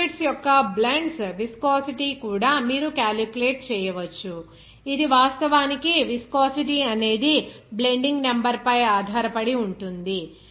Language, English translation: Telugu, The viscosity of the blends of liquids also you can calculate, that depends on actually viscosity blending number